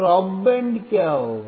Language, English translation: Hindi, What will be a stop band